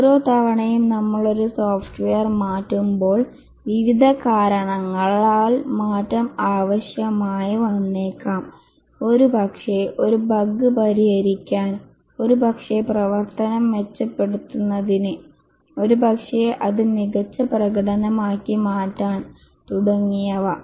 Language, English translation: Malayalam, Each time we change a software, the change may be required due to various reasons, may be to fix a bug, may be to enhance the functionality, maybe to make it have better performance and so on